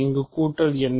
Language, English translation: Tamil, And what is addition